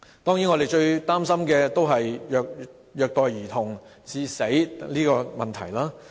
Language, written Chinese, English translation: Cantonese, 當然，我們最擔心的是虐待兒童致死的問題。, Certainly we are most concerned about death caused by child abuse